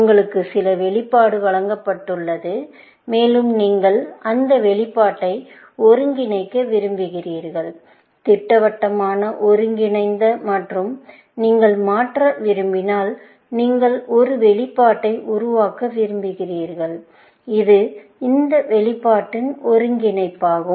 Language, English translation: Tamil, That you are given some expression, and you want to integrate that expression, in definite integral and you want to convert, you want to produce a expression, which is the integral of this expression, essentially